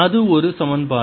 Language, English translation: Tamil, that's one equation